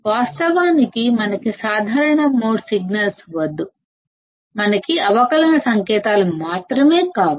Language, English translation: Telugu, In reality, we do not want common mode signals, we only want the differential signals